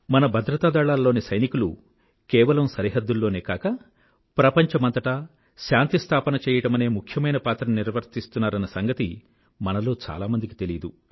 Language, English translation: Telugu, Many of us may not be aware that the jawans of our security forces play an important role not only on our borders but they play a very vital role in establishing peace the world over